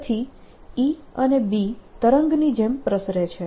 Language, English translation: Gujarati, so a and b propagate like a wave